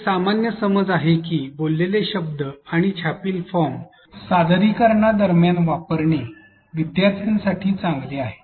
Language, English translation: Marathi, There is a common belief that use of a spoken words and printed forms during presentation is better for learners